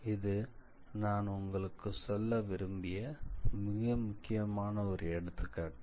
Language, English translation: Tamil, So, this is an important example which I chose to show you all